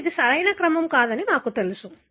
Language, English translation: Telugu, Now, we know that this is not the correct order